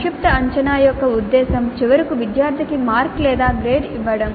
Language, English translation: Telugu, The purpose of a summative assessment is to finally give mark or a grade to the student